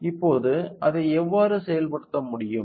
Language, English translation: Tamil, Now, how can we implement it